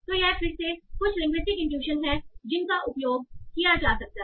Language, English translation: Hindi, So, again, some linguistic intuition that can be used